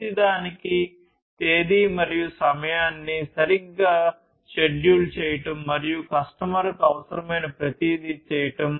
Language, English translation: Telugu, Scheduling the date and time properly for each, and everything whatever the customer needs